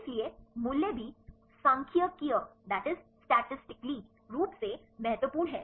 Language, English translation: Hindi, So, the values are also statistically significant